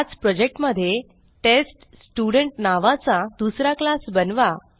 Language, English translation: Marathi, Now create another class named TestStudent inside the same project